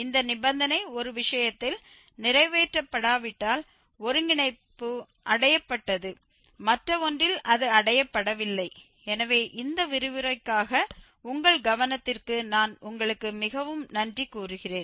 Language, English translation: Tamil, If this condition is not fulfilled in one case the convergence was achieved, in other one it was not achieved, so, that is all for this lecture and I thank you very much for your attention